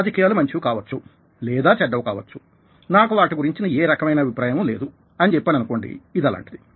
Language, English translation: Telugu, if i say that politics may be good or bad, i dont have any opinion about it that's not an attitude